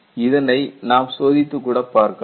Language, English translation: Tamil, This is what we are going to look at